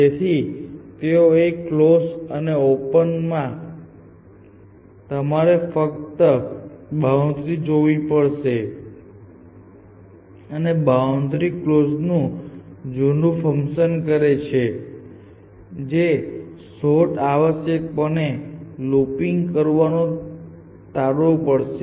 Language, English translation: Gujarati, So, they distinguished between closed and open and the idea here is that when you generate children of open you only need to look at the boundary and boundary serves the old function of closed which has to avoid the search from looping essentially